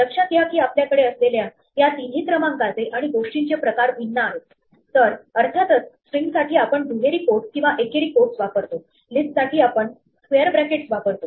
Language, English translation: Marathi, So, notice that all these three sequences and types of things that we have are different, so for strings of course, we use double codes or single codes; for list we use square brackets; for tuples, we use round brackets; and for dictionary, we use braces